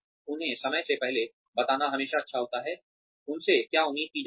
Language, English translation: Hindi, It is always nice to tell them ahead of time, what is expected of them